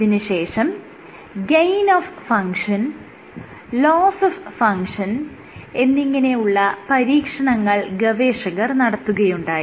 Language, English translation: Malayalam, What they then did was performed gain of function and loss of function experiments